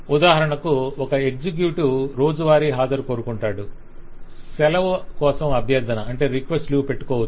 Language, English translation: Telugu, for example, an executive will go for daily attendance, can request for a leave